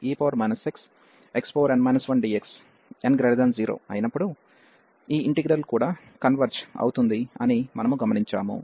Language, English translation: Telugu, And we will also observed that this integral as well converges when n is strictly positive